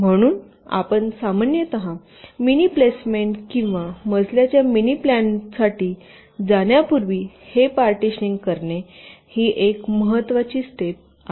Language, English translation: Marathi, ok, so this partitioning is a important steps before you go for mini placement or floorplanning, typically